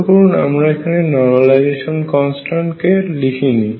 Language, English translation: Bengali, Notice that I have not written the normalization constant